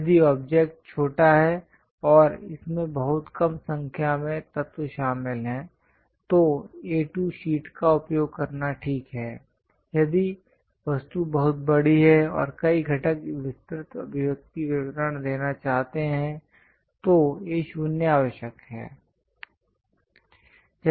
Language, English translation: Hindi, If the object is small and small number of elements are involved in that, is ok to use A2 sheet; if the object is very large and have many components would like to give detailed expressions details, then A0 is required